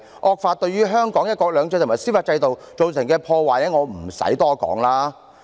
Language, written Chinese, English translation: Cantonese, 惡法對於香港的"一國兩制"及司法制度造成的破壞，無須我多說了。, I need not talk more about the damage caused by the draconian law to Hong Kongs one country two systems and judicial system